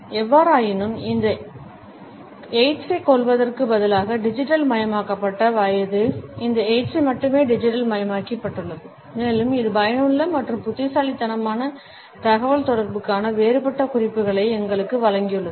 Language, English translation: Tamil, However, I would say that instead of killing these aids that digitalised age has only digitalised these aids and it has provided us a different set of cues for effective and intelligible communication